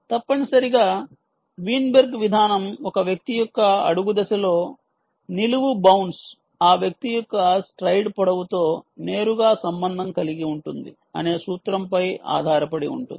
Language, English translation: Telugu, essentially, the weinberg approach is based on a principle that a vertical bounce in an individual s foot step is directly correlated to that person s stride length